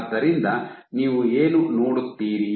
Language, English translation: Kannada, So, what you will see